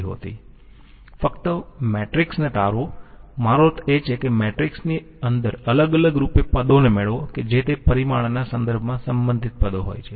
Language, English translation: Gujarati, Simply derive the matrix, I mean simply derive the terms individually inside the matrix which contains the relevant terms with respect to that parameter